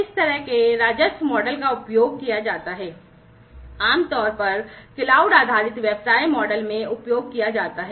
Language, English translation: Hindi, So, this is an important feature of the cloud based business model